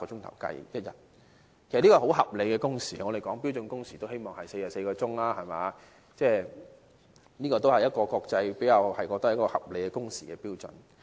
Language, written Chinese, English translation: Cantonese, 其實這是很合理的工時，我們討論標準工時，都是建議44小時，這都是國際公認的合理工時標準。, This actually is a very reasonable number of working hours as we always suggest 44 working hours during the discussion of standard working hours and this is also a reasonable standard of working hours by international standard